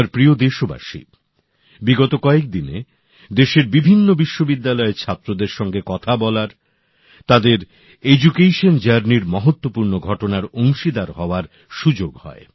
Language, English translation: Bengali, in the past few days I had the opportunity to interact with students of several universities across the country and be a part of important events in their journey of education